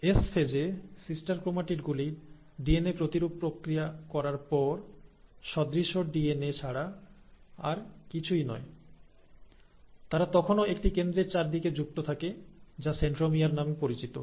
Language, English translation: Bengali, So, these sister chromatids are nothing but the same duplicated DNA after the process of DNA replication in the S phase, and they still remain connected at a central point which is called as the centromere